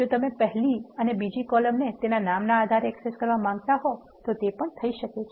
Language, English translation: Gujarati, If you want to access the first and second columns using just the column names you can do